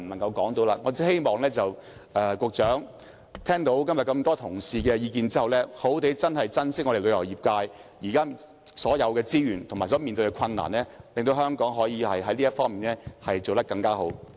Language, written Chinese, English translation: Cantonese, 我只希望局長聽到今天眾多同事的意見後，好好珍惜旅遊業界現有的所有資源，解決所面對的困難，令香港可以在這方面做得更好。, After listening to the views of many colleagues today I only hope that the Secretary will properly treasure all the existing resources of the tourism sector and resolve the difficulties facing the industry . In this way Hong Kong will be able to do a better job in promoting tourism